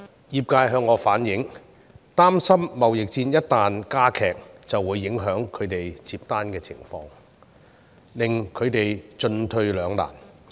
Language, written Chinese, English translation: Cantonese, 業界向我反映，擔憂貿易戰一旦加劇，會影響他們承接訂單的情況，令他們進退兩難。, Some business owners have reflected to me their worries over the escalation of trade war as their orders may get affected putting them between a rock and a hard place